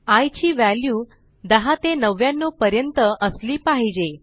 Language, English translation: Marathi, So, i should have values from 10 to 99